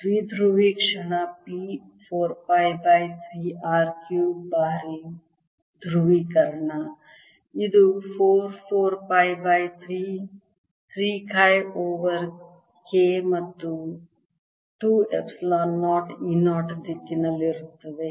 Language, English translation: Kannada, dipole moment p will be equal to four pi by three r cubed times the polarization, which is four pi by three, three chi, e over k plus two epsilon, zero, e, zero in the z direction